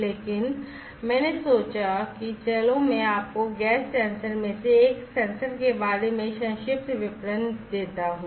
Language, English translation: Hindi, But I thought that let me give you a brief idea about one of the sensors the gas sensor